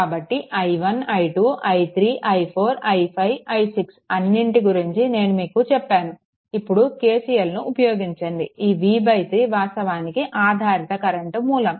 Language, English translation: Telugu, So, all these things ah i 1 i 2 i 3 i 4 i 5 i 6 all I have told and now apply your KCL remember, this v by 3 actually current dependent current source